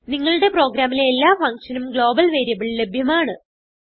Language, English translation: Malayalam, A global variable is available to all functions in your program